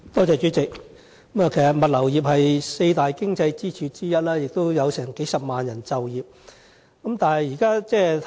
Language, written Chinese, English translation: Cantonese, 主席，物流業是本港四大經濟支柱之一，亦有數十萬就業人數。, President the logistics industry is one of the four pillar industries of Hong Kong and it employs tens of thousands of people